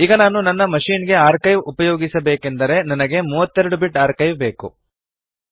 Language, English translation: Kannada, Now if I want to use the archive, for my machine, I need 32 Bit archive